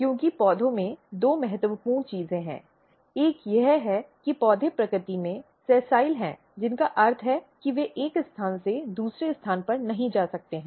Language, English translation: Hindi, Because in plant, there are two important thing, one is that plants are sessile in nature, which means that they cannot move from one place to another place